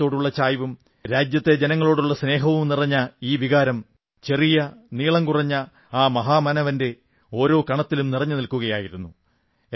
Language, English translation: Malayalam, This spirit of attachment towards the country and fellow countrymen was deeply imbibed in that great person of a very short physical stature